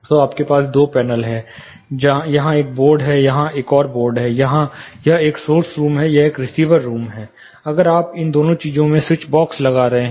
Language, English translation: Hindi, So, you have two panels; there is one board here, there is one more board here, this is a source room, this is a receiver room, if you are placing a switch boxes on both these things